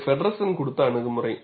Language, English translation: Tamil, And this is the approach, given by Feddersen